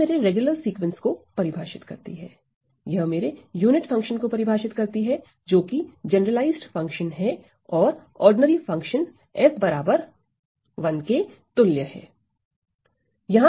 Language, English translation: Hindi, Well it defines this regular sequence, it defines my unit function which is the generalized function equivalent to the ordinary function ordinary function f is equal to 1